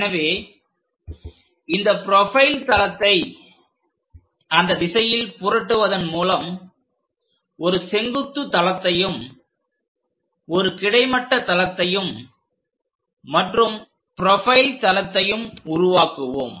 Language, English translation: Tamil, So, by flipping this profile plane in that direction, we will construct a vertical plane followed by a horizontal plane and a profile plane